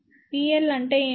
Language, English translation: Telugu, What is P in